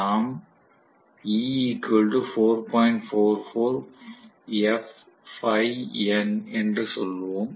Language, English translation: Tamil, We would say 4